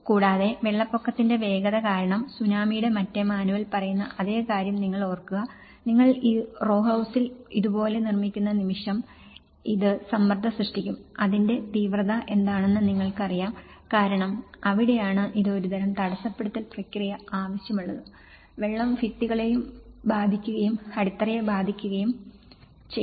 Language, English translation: Malayalam, Also, the velocity of the flood water because the moment you are keeping the same thing what the other manual of the tsunami is talking, the moment you are making these row houses like this that is where this is going to create the pressure you know, intensify because that is where the it’s a kind of bottleneck process so, the water and then it affects this whole damaged process both the walls and also it can affect the foundations